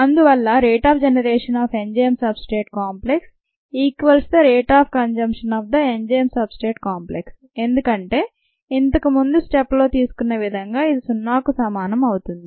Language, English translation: Telugu, therefore, the rate of generation of the enzyme substrate complex equals the rate of consumption of the ah enzyme substrate complex, because this is equal to zero